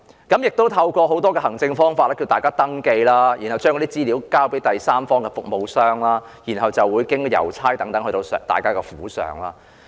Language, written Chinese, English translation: Cantonese, 當局透過很多行政方法呼籲市民登記，然後將資料交給第三方服務商，再經郵差派送府上。, The authorities have via various administrative means urged the people to register online . After the people have given their personal information to a third - party service provider postal officers will deliver the masks to their homes